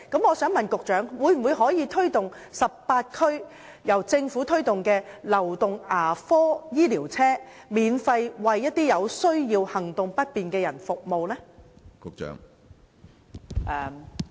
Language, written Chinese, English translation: Cantonese, 我想問局長，政府可否在18區推動公營流動牙科醫療車服務，免費為有需要或行動不便的人士提供服務？, Can the Government promote public mobile dental services in 18 districts to provide free services to persons in need or the mobility handicapped?